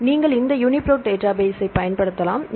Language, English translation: Tamil, So, you can use this database UniProt database